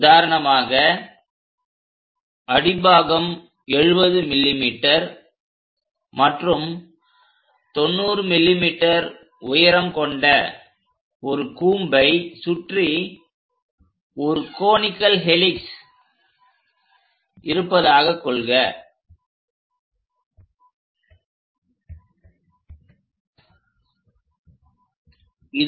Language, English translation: Tamil, For example, let us look at a conical helix winded around a cone of base 70 mm and height 90 mm